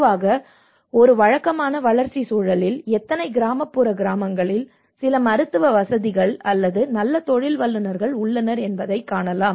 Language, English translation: Tamil, Normally in a regular development context itself how many of the rural villages do have some medical facilities or a good professionals